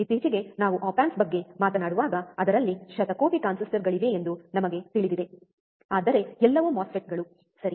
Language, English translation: Kannada, Now we also know that recently when we talk about op amps, it has billions of transistors, but all are MOSFETs, right